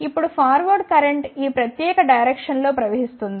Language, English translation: Telugu, Now, the power current will flow in this particular direction